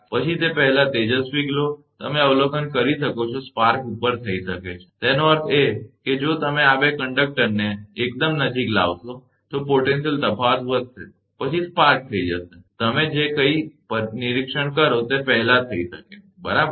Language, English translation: Gujarati, Then before it luminous glow, you can observe spark over may take place; that means, if you bring two conductors very close to that, in a potential difference will go on increasing, then spark over will take place, before you can before anything you observe right